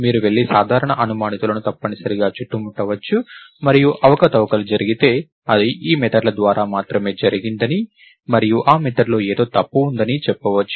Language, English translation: Telugu, So, you can go and round up the usual suspects essentially and say that if manipulations happened, it happened only through these methods and there is something in these methods which is incorrect